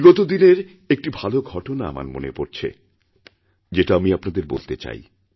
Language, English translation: Bengali, Recently I came across a wonderful incident, which I would like to share with you